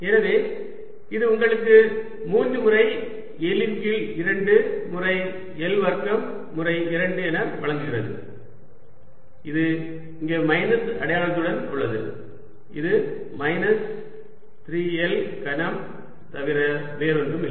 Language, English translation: Tamil, so this gives you three times l by two, times l square times two, which is with the minus sign here, which is nothing but minus three l cubed